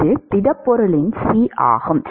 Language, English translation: Tamil, So, it is the C of the solid